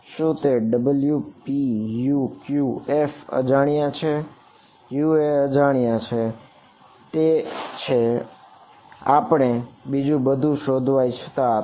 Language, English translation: Gujarati, Is it w p u q f which is unknown U is unknown that is what we want to find out everything else is known